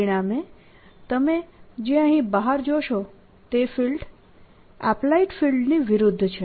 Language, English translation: Gujarati, as a consequence, what you notice outside here the field is opposite to the applied field